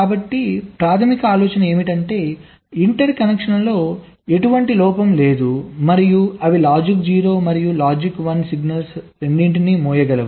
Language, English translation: Telugu, so the basic idea is to ensure that there is no fault in the interconnections and they can be able to carry both logic zero and logic one signals